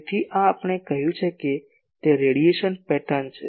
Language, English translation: Gujarati, So, this is radiation pattern we have said